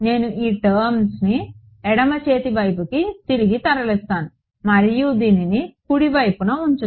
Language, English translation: Telugu, I will move this guy back to the left hand side and keep this on the right hand side right